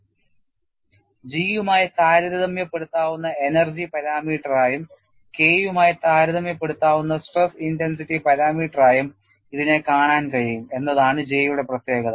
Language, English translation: Malayalam, The specialty of J is that it can be viewed both as an energy parameter comparable to G and as a stress intensity parameter comparable to K, and in fact we had looked at in the last class; the energy definition of what is J